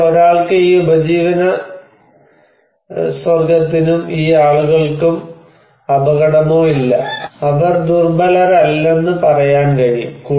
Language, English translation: Malayalam, Then, one can say that this livelihood or these people are not at risk, they are not vulnerable